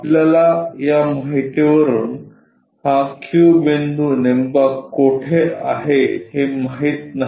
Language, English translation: Marathi, We do not know where exactly this Q point is from this information